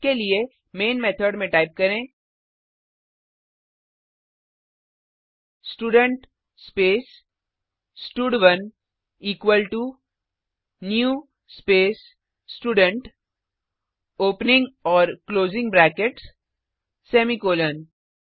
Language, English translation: Hindi, For that, inside the main method, type Student space stud1 equal to new space Student opening and closing brackets, semicolon